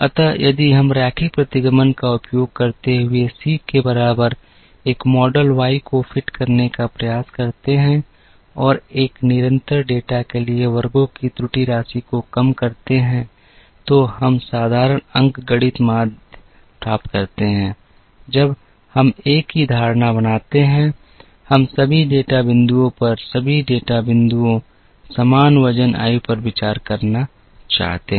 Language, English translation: Hindi, So, if we try to fit a model Y equal to C using linear regression and minimizing error sum of squares for a constant data, we get the simple arithmetic mean, when we make the same assumption that, we want to consider all the data points, equal weight age to all the data points